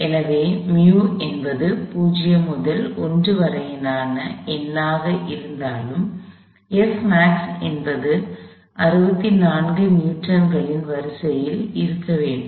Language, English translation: Tamil, So, even if mu is a number between 0 to 1; F max should be on the order of 64 Newtons